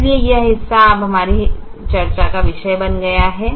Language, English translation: Hindi, so this part is now becoming the primal for our discussion